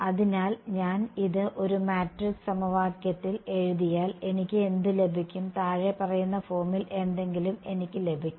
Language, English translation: Malayalam, So, if I write this out into a matrix equation what will I get I am going to get something of the following form